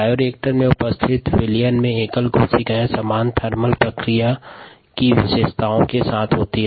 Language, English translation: Hindi, the solution in the bioreactor consist of single cells with similar thermal response characteristics